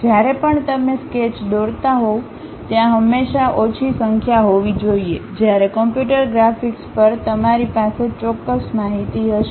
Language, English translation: Gujarati, Whenever you are drawing sketches there always be least count whereas, at computer graphics you will have precise information